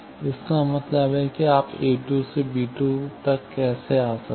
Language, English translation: Hindi, That means how you can come from a 2 to b 2